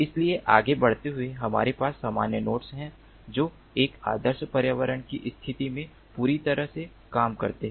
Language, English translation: Hindi, ok, so going ahead, we have normal nodes that work perfectly in an ideal environment condition